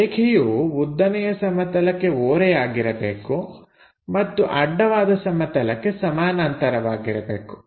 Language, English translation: Kannada, Line supposed to be inclined to vertical plane and parallel to horizontal plane